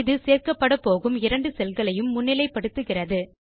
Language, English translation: Tamil, This highlights the two cells that are to be merged